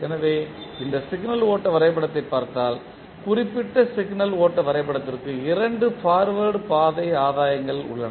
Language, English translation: Tamil, So, if you see this particular signal flow graph there are 2 forward Path gains for the particular signal flow graph